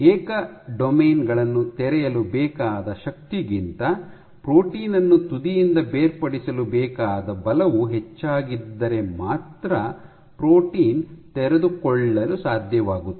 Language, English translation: Kannada, So, protein can be unfolded only if the force required, to detach protein from tip is greater than the forces required to unfold individual domains